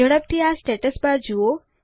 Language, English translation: Gujarati, Look at the Status bar quickly